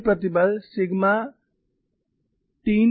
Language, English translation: Hindi, Other stress sigma 3 is 0